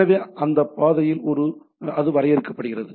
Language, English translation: Tamil, So in this path it is defined